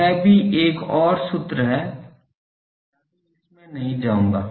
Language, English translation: Hindi, That is also another formula I would not go into that